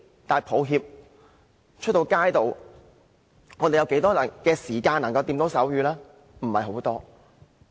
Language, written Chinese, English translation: Cantonese, 但抱歉，在街上，我們有多少時間可以接觸手語呢？, But how often can we see the use of sign language in the streets?